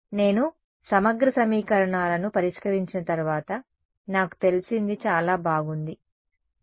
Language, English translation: Telugu, I is known after I solve the integral equations very good what is Za now